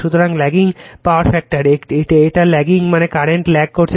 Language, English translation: Bengali, So, , lagging power factor it is lagging means current is lagging